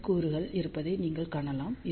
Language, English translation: Tamil, So, you can see that there are N elements